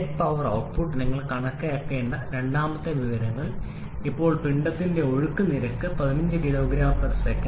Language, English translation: Malayalam, And the second information you have to calculate the net power output now the mass flow rate is given as 15 kg per second